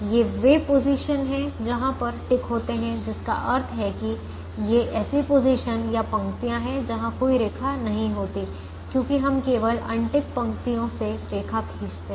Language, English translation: Hindi, these are the positions where there are ticks, which means these are positions or rows where there is going to be no line, because we draw a line only through unticked rows, so it is a ticked row, so there is going to be no line